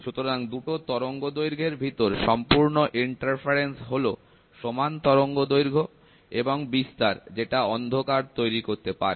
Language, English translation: Bengali, So, complete interference between the 2 wavelengths having the same wavelength and amplitude produces your darkness